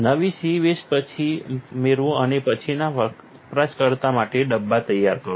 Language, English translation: Gujarati, Grab a new c waste back and prepare the bin for the next user